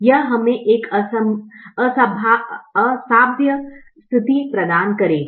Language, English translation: Hindi, this would give us an infeasible situation